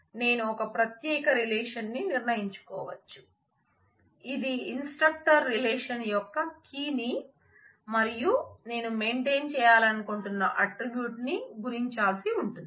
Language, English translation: Telugu, I may have a separate I may decide to have a separate relation which relates the key of the instructor relation, and the attribute that I want to maintain multiply